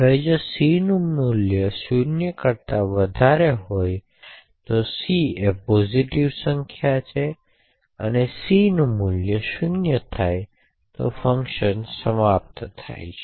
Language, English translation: Gujarati, Now if c has a value greater than 0 that is if c is a positive number then the value of c becomes 0 and the function would terminate